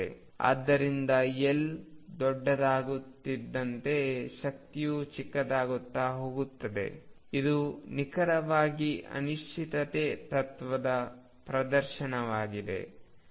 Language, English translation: Kannada, So, as L becomes larger the energy becomes smaller, this is precisely a demonstration of uncertainty principle